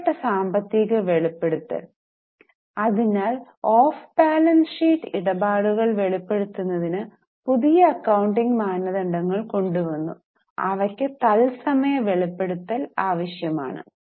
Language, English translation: Malayalam, So, new accounting standards were brought in for disclosure of off balance sheet transactions and the real time disclosure became necessary